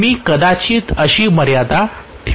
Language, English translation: Marathi, I may put a limit like this